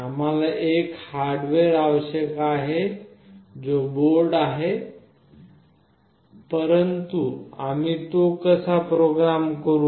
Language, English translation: Marathi, We need a hardware that is the board, but how do we program it